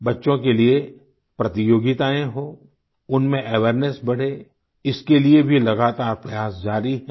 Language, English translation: Hindi, Efforts are being made to ensure competitions for children, attempts are being made to increase awareness too